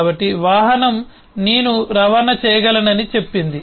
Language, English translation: Telugu, so vehicle says that i can transport